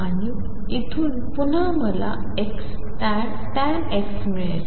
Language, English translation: Marathi, And from here again I will get x tangent x